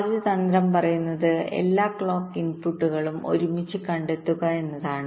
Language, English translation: Malayalam, the first strategy says: locate all clock inputs close together